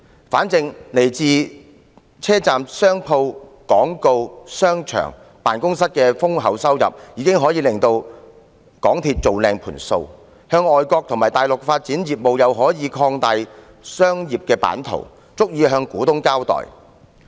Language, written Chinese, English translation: Cantonese, 反正來自車站商鋪、廣告、商場、辦公室等豐厚收入，已可令港鐵公司"做靚盤數"，在外國和大陸發展業務又可以擴大商業版圖，足以向股東交代。, The enormous revenue from shops in the stations advertising shopping malls and office premises can already guarantee maximization of profits for MTRCL . It can also be accountable to the shareholders by expanding its business overseas and in the Mainland